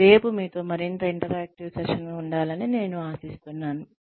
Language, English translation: Telugu, And, I hope to have a more interactive session, with you tomorrow